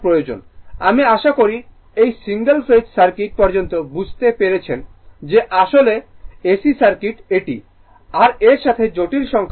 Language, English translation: Bengali, I hope up to this single phase circuit I hope you have understood this look ah that actually ac circuit it it your what you call your it involves complex number